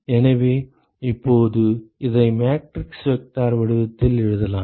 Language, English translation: Tamil, So, now I can write this in the matrix vector form